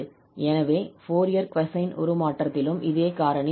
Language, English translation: Tamil, So, we have here the Fourier cosine transform